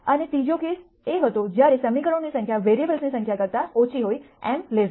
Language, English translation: Gujarati, And the third case was when number of equations less than number of variables m less than n